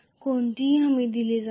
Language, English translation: Marathi, There is no guaranty